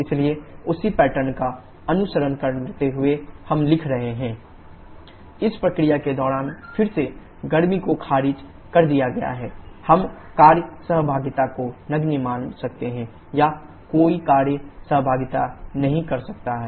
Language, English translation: Hindi, So following the same pattern we are writing q 23 w23 = h3 h2 again this is heat is reacted during this process and we can assume the work interaction to be negligible or no work instruction